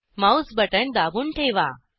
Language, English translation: Marathi, Hold down the mouse button